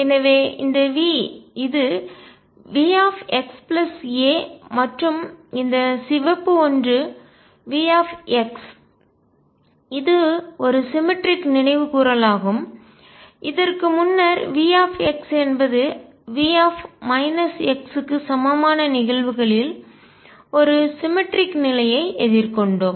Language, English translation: Tamil, So, V this is V x plus a and the red one V x this is a cemetery recall earlier we had encountered a symmetry in the cases where V x was equal to V minus x